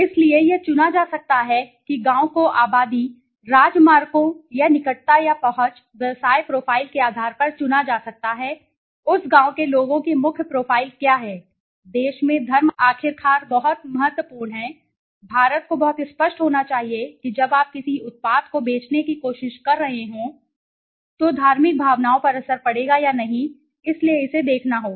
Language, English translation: Hindi, So, it could be selected villages could be selected on the basis of population, proximity or accessibility to highways or something, occupation profile, what is the main profile of the people in that village right religion, religion works very importantly at last in a country like India so one has to be very clear when you are trying to go to sell a product whether the religious sentiments would have effect or not right so that has to be seen